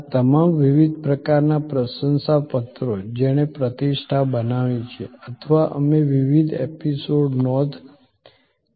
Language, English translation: Gujarati, These are all different types of testimonial that built reputation or we can record different episodes